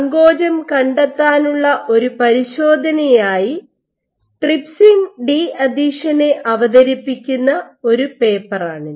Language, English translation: Malayalam, This is a paper introducing trypsin de adhesion as an assay for probing contractility